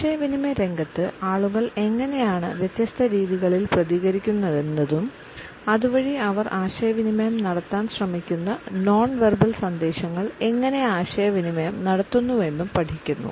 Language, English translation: Malayalam, In the area of communication we also study how in different ways people respond to it and thereby what type of nonverbal messages they try to communicate with it